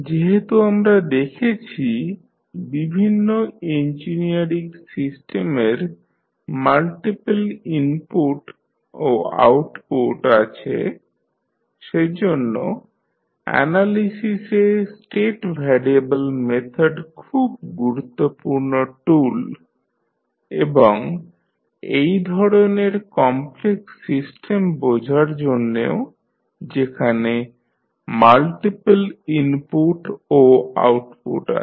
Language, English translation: Bengali, Now, since many engineering system we see have multiple input and multiple outputs, so that is why the state variable method is very important tool in analysing and understanding such complex systems which have multiple input and multiple outputs